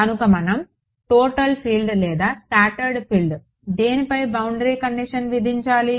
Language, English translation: Telugu, So, should be we imposing the boundary condition on total field or scattered field